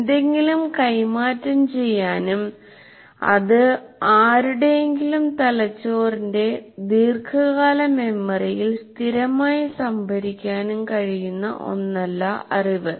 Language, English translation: Malayalam, It is not as if something can be transferred and permanently stored in the long term memory of anybody's brain